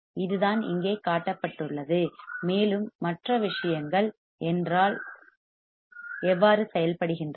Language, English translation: Tamil, This is what is shown here, and this is how the things work